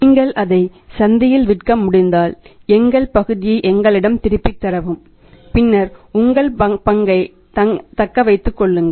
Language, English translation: Tamil, If you are able to sell it off in the market then you say return our part to us and then you retain your part